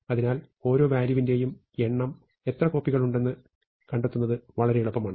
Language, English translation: Malayalam, So, it is much easier to find how many copies of each value are there